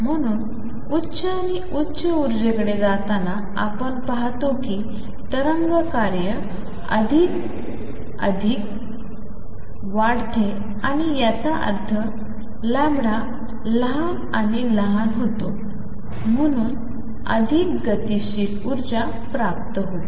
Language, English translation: Marathi, So, you see as we go to higher and higher energies, wave function bends more and more and that make sense, because lambda becomes smaller and smaller, So it gains more kinetic energy